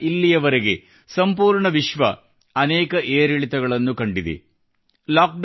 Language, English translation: Kannada, Since then, the entire world has seen several ups and downs